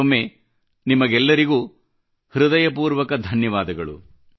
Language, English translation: Kannada, Once again, I thank all of you from the core of my heart